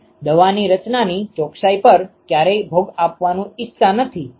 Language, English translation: Gujarati, You would never want to sacrifice on the precision of the composition of the drug